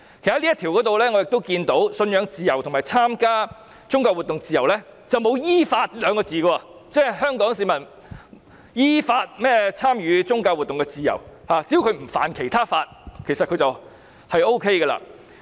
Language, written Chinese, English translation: Cantonese, "其實，我從這項條文中看到，"信仰自由"和"參加宗教活動的自由"之前並沒有"依法"這兩個字，即是香港市民有參與宗教活動的自由，只要不觸犯其他法例便可以。, As a matter of fact from this article I see that freedom of conscience and participate in religious activities are not qualified by in accordance with law meaning Hong Kong people have freedom to participate in religious activities so long as they do not break other law